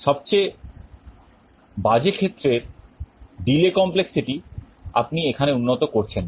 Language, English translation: Bengali, The worst case delays complexity you are not improving here